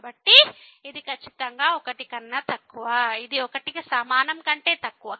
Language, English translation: Telugu, So, this is strictly less than , this is less than equal to